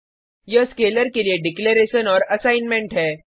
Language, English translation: Hindi, This is the declaration and assignment to the scalar